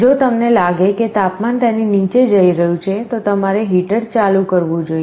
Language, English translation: Gujarati, If you find that the temperature is falling below it, you should turn on the heater